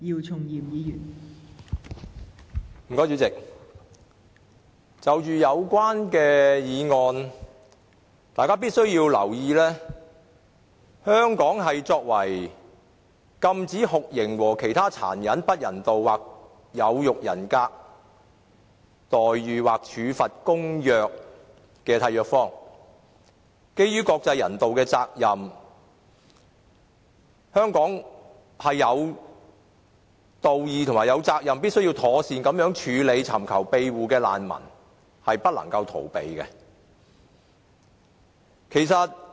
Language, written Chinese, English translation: Cantonese, 代理主席，就有關的議案，大家必須留意的，便是香港作為《禁止酷刑和其他殘忍、不人道或有辱人格的待遇或處罰公約》的締約方，基於國際人道的責任，香港是有道義及責任必須妥善處理尋求庇護的難民，是不能逃避這種責任的。, Deputy President with regards to the relevant motion Members should pay attention that Hong Kong as a contracting party to the Convention Against Torture and Other Cruel Inhuman and Degrading Treatment or Punishment has the moral obligations and responsibilities to properly handle refugees who seek asylum in Hong Kong in accordance with the international humanitarian protocol . It should not evade such obligations and responsibilities